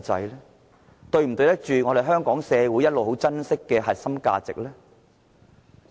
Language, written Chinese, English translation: Cantonese, 是否對得起香港社會一直很珍惜的核心價值？, Have Members safeguarded the core values which Hong Kong society has all along treasured?